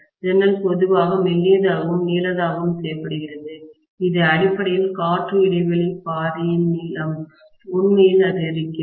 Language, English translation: Tamil, The window is generally made you know thinner and longer, that makes essentially the length of the air gap path you know really increased